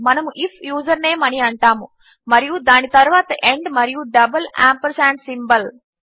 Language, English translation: Telugu, we will say if username followed by and, so double ampersand symbol